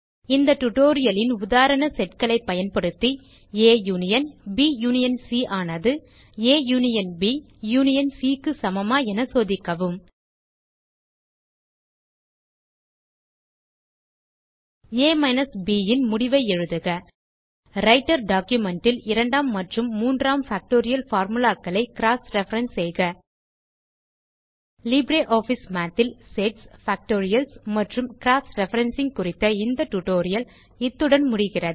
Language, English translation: Tamil, Using the example Sets in this tutorial: check if A union is equal to union C Write the results of A minus B And cross reference, the second and third factorial formulae in the Writer document This brings us to the end of this tutorial on Sets, Factorials and Cross Referencing in LibreOffice Math